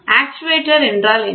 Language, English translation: Tamil, What is an actuator